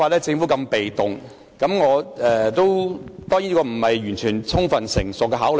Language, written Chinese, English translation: Cantonese, 當然，我的建議未必經完全充分成熟的考慮。, Certainly my proposal may not have undergone thorough and mature consideration